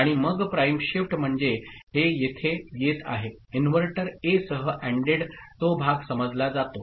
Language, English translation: Marathi, And then shift prime, so this is coming over here the inverter, ANDed with A, that part is understood